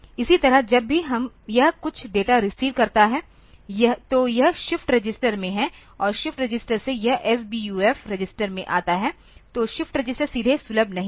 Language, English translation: Hindi, Similarly whenever it receives some data; so, it is there in the shift register and from the shift register it comes to the SBUF register; so the shift register is a not directly accessible